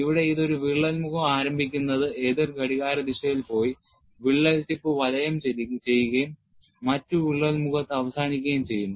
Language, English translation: Malayalam, Here, it starts from one crack face, goes in an anticlockwise direction, encloses the crack tip and ends in the other crack face